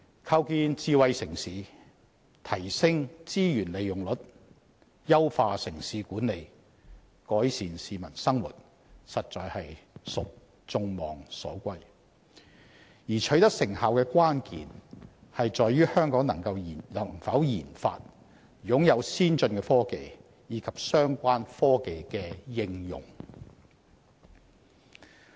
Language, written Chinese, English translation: Cantonese, 構建智慧城市、提升資源利用率、優化城市管理、改善市民生活實屬眾望所歸，而取得成效的關鍵在於香港能否研發、擁有先進科技，以及相關科技的應用。, It is indeed the aspirations of the people to see the construction of a smart city higher rates of resource utilization enhancement in urban management and improvement of peoples livelihood . The key to success lies in whether Hong Kong can develop and possess advanced technologies as well as in the application of such technologies